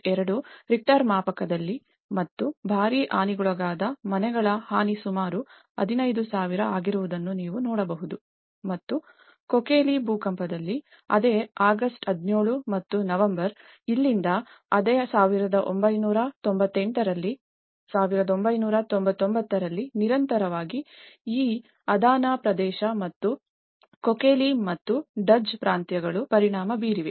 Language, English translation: Kannada, 2 Richter scale and you can see the damage of heavily damaged houses are about 15,000 and in Kocaeli earthquake, same August 17 and November say that from here in the same 1998, 1999 is a continuously, this Adana region and as Kocaeli and Duzce provinces have been affected